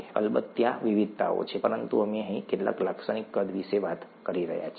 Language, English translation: Gujarati, There are variations of course, but we are talking of some typical sizes here